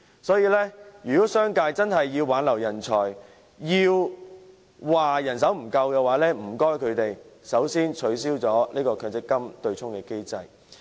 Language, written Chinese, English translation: Cantonese, 所以，如果商界真的想挽留人才，又抱怨人手不足的話，麻煩他們先取消強積金對沖機制。, Therefore if the business sector genuinely wishes to retain talents and complains about a shortage of manpower they might as well abolish the MPF offsetting mechanism as the first step